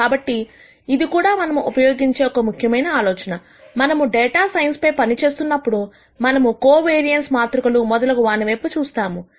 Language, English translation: Telugu, So, this is another important idea that we will use; when we do data science, when we look at covariance matrices and so on